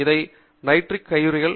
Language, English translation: Tamil, These are nitrile gloves